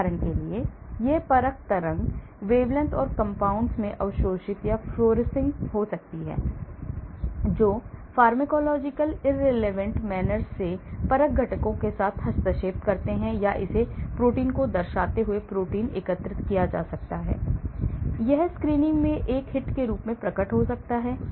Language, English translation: Hindi, For example, it may be absorbing or fluorescing at the assay wavelengths or compounds that interfere with assay components in a pharmacological irrelevant manner or it may be aggregated the protein, denaturing the protein, so it but it may appear as a hit when I do the screening